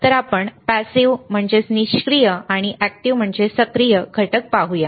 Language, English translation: Marathi, And I also shown you the passive and active components